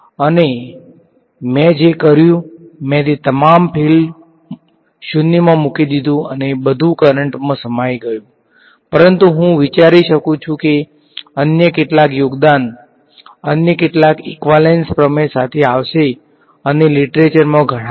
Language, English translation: Gujarati, So, what I did I put all the field 0 and everything was absorbed into the current, but I can think of some other contribution will come up with some other equivalence principle right and there are several in the literature